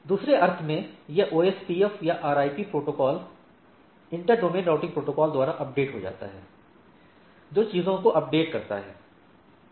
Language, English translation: Hindi, So, in other sense, it gets updated by the OSPF or RIP protocol inter domain routing protocols which updates the things, right